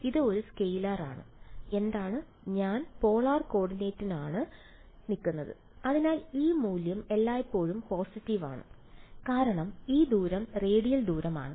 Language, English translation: Malayalam, It is a scalar and what is; I’m in polar coordinates; so this value is always positive, it is because it is distance radial distance right